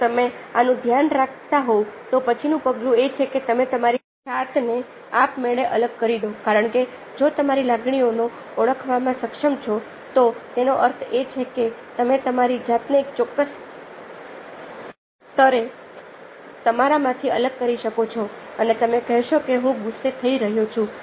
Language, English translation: Gujarati, if you are mindful this, then the next step is to detach yourself automatically, because if you are able to identify your emotions, that means that you are able to detach yourself from yourself at a certain level and said that, ok, now i feel i'm hungry, i can, i can see that i feel hungry